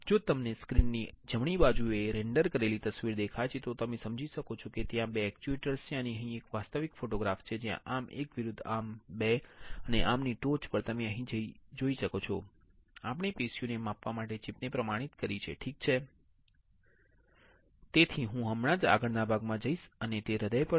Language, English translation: Gujarati, If you see the render image on the right side of the screen then you can understand that there are the two actuators and here is actual photograph where there is a arm 1 versus arm 2 and at the tip of this arm you can see here that we have the chip attested for the for measuring the tissue, alright